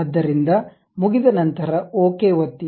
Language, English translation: Kannada, So, once I am done click Ok